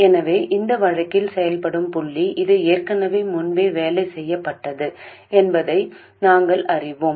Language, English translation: Tamil, So we know that the operating point in this case this has already been worked out earlier